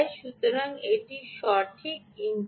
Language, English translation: Bengali, remember, there is an input